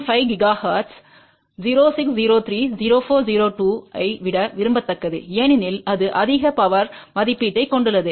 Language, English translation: Tamil, 5 gigahertz 0603 is preferable then 0402 as it has higher power rating